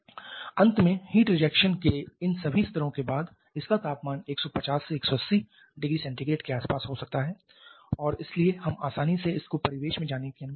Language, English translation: Hindi, Finally after all these levels of heat rejection it may be having a temperature of something only around 150, 180 degree Celsius and so we can easily allow you to go to the surrounding